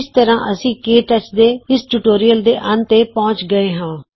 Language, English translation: Punjabi, This brings us to the end of this tutorial on KTouch